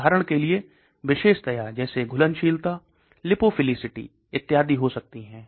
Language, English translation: Hindi, For example, property could be solubility; property could be its lipophilicity and so on actually